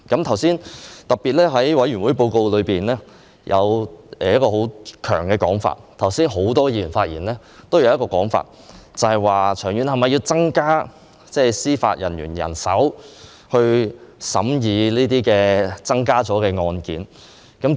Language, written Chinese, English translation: Cantonese, 在委員會報告中，特別提到一個問題，而很多議員剛才發言時也有提及，就是長遠是否要增加司法人員人手來審議這些增加了的案件？, A question is particularly mentioned in the Report of the Bills Committee and also raised by many Members earlier on and that is In the long run is it necessary to increase the judicial manpower to deal with these increased cases?